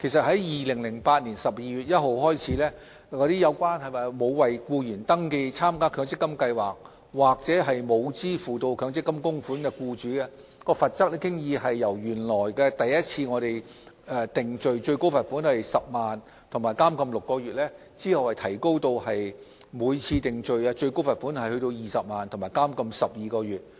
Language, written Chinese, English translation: Cantonese, 自2008年12月1日起，針對沒有為僱員登記參加強積金計劃或沒有支付強積金供款的僱主，罰則已由首次定罪最高罰款10萬元及監禁6個月，提高至每次定罪最高罰款20萬元及監禁12個月。, On 1 December 2008 employers who had failed to enrol their employees in an MPF scheme or pay MPF contributions were liable to a maximum penalty of a fine of 100,000 and imprisonment for six months on first conviction . The maximum penalty was then increased to a fine of 200,000 and imprisonment for 12 months